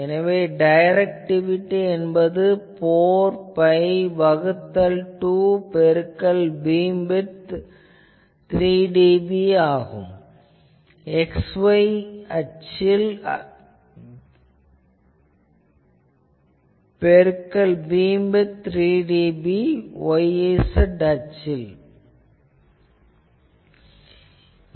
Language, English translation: Tamil, So, directivity will be 4 pi divided by 2 into beam width 3 dB that x y into beam width 3 dB into y z, so that if you do, it comes to 8